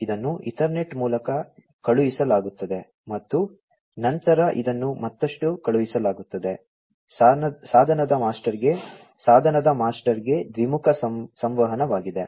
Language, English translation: Kannada, It is sent through the Ethernet and then this is sent further to it can be two way communication to the device master, to the device master